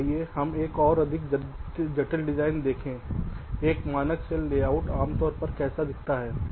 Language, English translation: Hindi, right, fine, so lets look at a more complex design, how a standard cell layout typically looks like